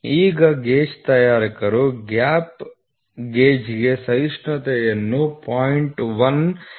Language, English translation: Kannada, Now, gauge makers tolerance for gap gauge is 0